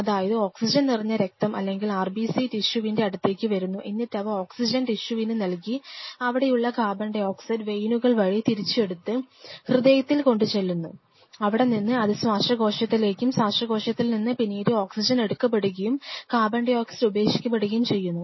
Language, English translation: Malayalam, So, now concern tissues are sitting out here, the oxygenated blood or the red blood cells travel here and unload their oxygen, is oxygen is taken up by the tissues and the veins out here takes up the CO2 which is given away by these cells this is brought back via heart goes to the lungs and from the lungs any picks up the oxygen throw away the carbon dioxide picks up the O2, throw away the CO2 and it oxygen further comes back after attaching the hemoglobin